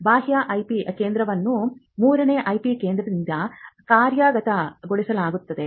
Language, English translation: Kannada, You can have an external IP centre the IP centre is run by a third party